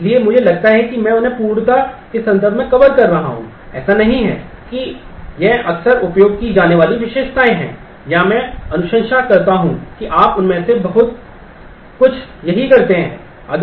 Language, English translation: Hindi, So, I am I am just covering them in terms of completeness it is not that these are frequently used features or I recommend that you do lot of them right here